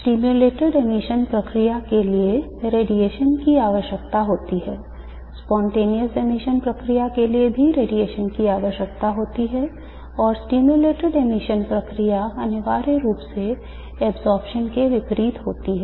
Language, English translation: Hindi, The stimulated emission process requires the radiation the spontaneous emission process does not require radiation and the stimulated emission process is essentially the reverse of absorption